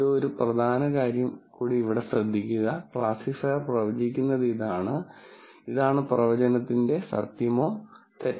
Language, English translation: Malayalam, Notice an important thing, I said this is what the classifier predicts and this is the truth or the falsity of what the prediction is